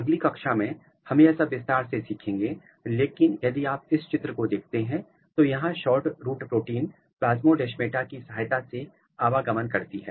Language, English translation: Hindi, We will cover this in detail in the later classes, but if you look this picture is SHORTROOT protein moving through the Plasmodesmata